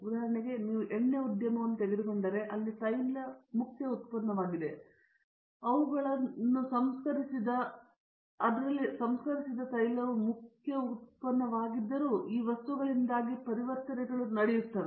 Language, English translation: Kannada, For example, today if you take the oil industry it is, if even though oil is the main product and their refined oil is the main product, the conversions are taking place only because of these materials